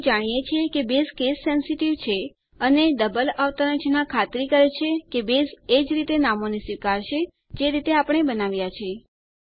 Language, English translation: Gujarati, We know that Base is case sensitive and the double quotes ensure that Base will accept the names as we created